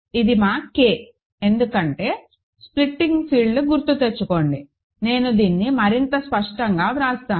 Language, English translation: Telugu, So, and which is our K right, because remember splitting field is a field I will write this more clearly